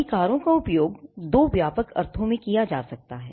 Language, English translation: Hindi, Rights can be used in 2 broad senses